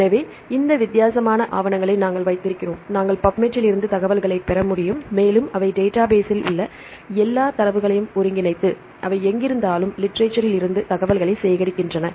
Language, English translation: Tamil, So, we have this different papers we can get the information from PUBMED and they integrate all the data in the database and wherever they collect the information from the literature